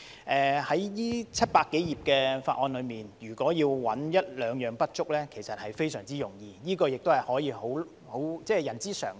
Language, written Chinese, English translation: Cantonese, 在這700多頁的法案中，如果要找一兩樣不足，其實非常容易，這也是人之常情。, In the 700 - page Bill it is extremely easy to spot one or two inadequacies . This is human nature